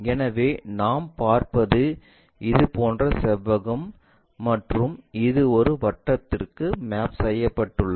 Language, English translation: Tamil, So, what we will see is such kind of rectangle and this one mapped to a circle